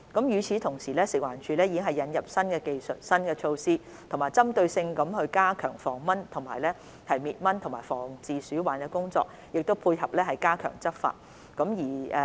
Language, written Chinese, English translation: Cantonese, 與此同時，食環署已引入新技術和新措施，針對性加強防蚊滅蚊及防治鼠患的工作，並配合加強執法。, Meanwhile FEHD has introduced new technologies and new measures to enhance anti - mosquito work and rodent control in a targeted in tandem with strengthened enforcement actions